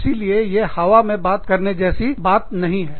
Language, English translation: Hindi, So, this is not, up in the air, kind of talk